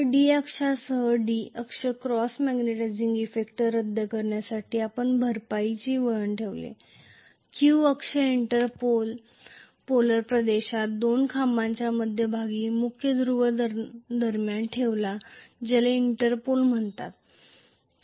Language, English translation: Marathi, So, D axis along the D axis to nullify the cross magnetizing effect we put compensating winding, along the Q axis inter polar region between the 2 poles main poles we placed something called Interpol